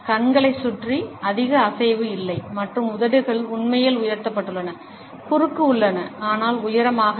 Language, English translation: Tamil, There is not much movement around the eyes and the lips are really elevated, there are cross, but not high up